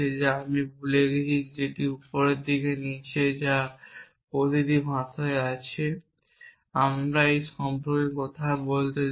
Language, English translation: Bengali, So, there are 2 symbols which I have forgotten here which is this bottom in the top which is there in every language let me talk about